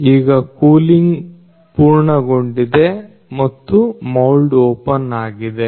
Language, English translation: Kannada, Now the cooling is complete and the mould is open